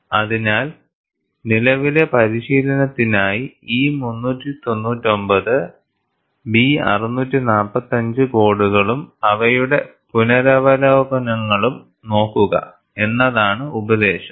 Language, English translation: Malayalam, So, the advice is, for current practice, look up codes E399 and B645 and their revisions